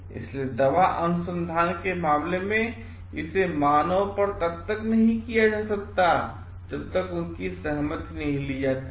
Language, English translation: Hindi, So, in case of pharmaceutical research and all is cannot be done on human until and unless their consent is taken